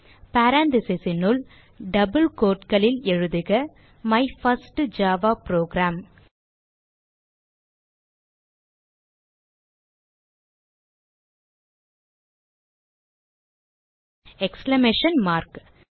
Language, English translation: Tamil, So Within parentheses in double quotes type, My first java program exclamation mark